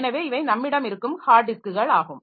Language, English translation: Tamil, So, these are the hard disks that we have